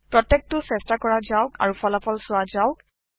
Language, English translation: Assamese, Let us try each one and see the results